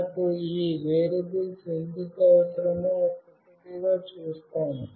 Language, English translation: Telugu, We will see one by one why we require these variables